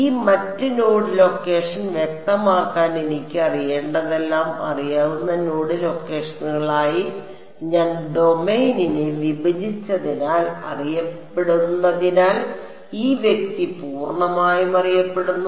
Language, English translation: Malayalam, This guy is fully known because all that I need to know to specify this other node location, which are known because I broke up the domain into known node locations